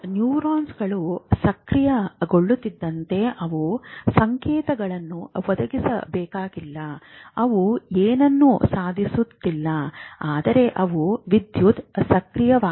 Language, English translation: Kannada, So, neurons, once they get activated, they remain, they may not be firing, they may not be achieving anything, but they are electrically active